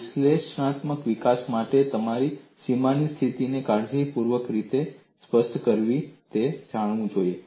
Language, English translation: Gujarati, Even for analytical development, you should know how to specify the boundary condition carefully and we would look at that